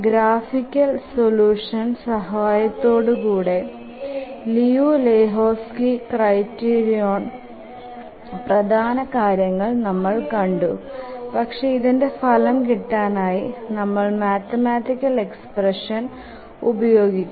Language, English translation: Malayalam, The graphical solution helps us understand how the Liu Lejutski's criterion works, the main concepts behind the Liu Lehuski's criterion, but really work out the solution we'll use the mathematical expression